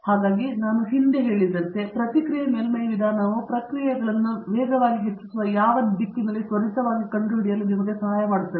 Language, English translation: Kannada, So, as I said earlier the Response Surface Methodology helps you to find quickly in which direction the processes increasing the fastest